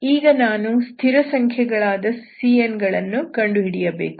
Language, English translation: Kannada, So I have to find these constant CNs, okay